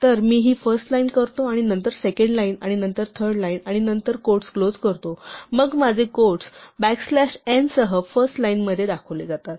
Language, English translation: Marathi, So, I do this first line, and then second line, and then third line, and then close the quote then my quote is shown as first line with back slash n